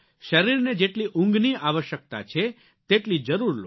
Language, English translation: Gujarati, Ensure adequate sleep for the body that is required